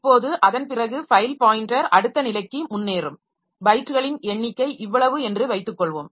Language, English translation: Tamil, Now, now after that the file pointer will advance to the next suppose this much was the number of bytes rate